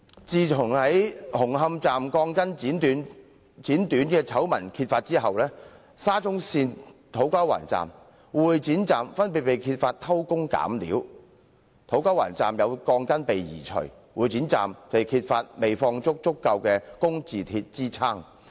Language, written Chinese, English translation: Cantonese, 自紅磡站鋼筋被剪短的醜聞遭揭發後，沙中線土瓜灣站和會展站亦相繼被揭發偷工減料——土瓜灣站有鋼筋被移除；會展站則未放置足夠的工字鐵支撐。, Since the exposure of the scandal concerning the cutting of steel bars at Hung Hom Station incidents of cutting corners have also been uncovered one after another at To Kwa Wan Station and Exhibition Centre . It was found that steel bars had been removed at To Kwa Wan Station and insufficient supporting I - beams were placed at Exhibition Centre Station